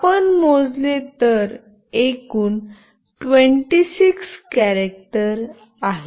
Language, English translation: Marathi, The total characters if you count is 26